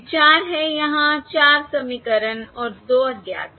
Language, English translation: Hindi, The point is there are 4 equations and 2 unknowns